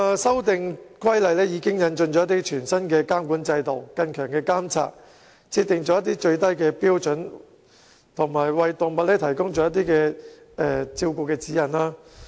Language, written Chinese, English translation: Cantonese, 修訂規例引進了全新的監管制度和加強監察，亦設定了最低標準及提供動物照顧指引。, The Amendment Regulation introduces a brand - new regulatory regime and enhances monitoring as well as stipulates the minimum standards and guidelines on animal care